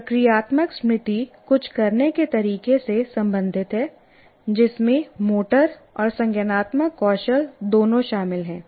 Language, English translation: Hindi, Procedural memory is all, all of you are familiar with, is related to how to do something which involves both motor and cognitive skills